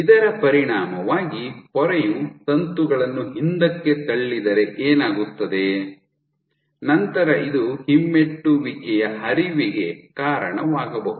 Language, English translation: Kannada, So, as a consequence, and what will happen if the membrane pushes the filament back; then this should lead to retrograde flow